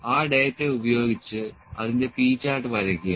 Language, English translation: Malayalam, Using the following data, draw it is P Chart